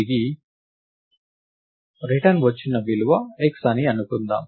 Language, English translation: Telugu, Let the returned value be x